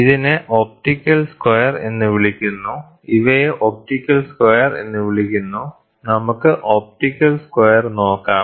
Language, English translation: Malayalam, This is called the optical square, these are called the optical square, let us see the optical square